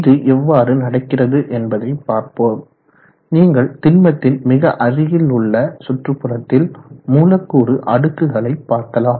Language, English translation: Tamil, So how does this come about, if you see the immediate environment of the solid there are layers of molecules